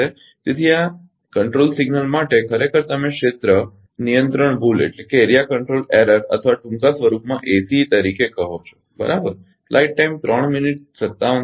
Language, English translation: Gujarati, So, for this control signal actually you call as area control error or ACE in short form, right